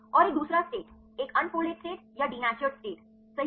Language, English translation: Hindi, And another state the unfolded state or a denatured states, right